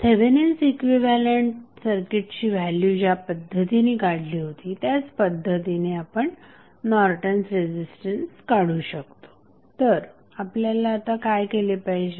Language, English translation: Marathi, Now, we can also find out the value of Norton's resistance the same way as we found the value of Thevenin equivalent circuit that means what we have to do